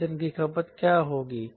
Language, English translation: Hindi, what is the fuel consumption